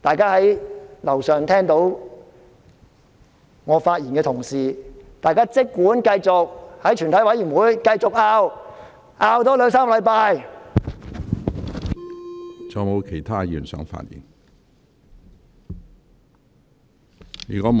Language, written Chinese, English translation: Cantonese, 在樓上聽到我發言的同事，大家儘管繼續在全體委員會爭拗，多爭拗兩三星期。, Those colleagues who are listening to my speech upstairs may simply continue arguing in the committee of the whole Council for another two to three weeks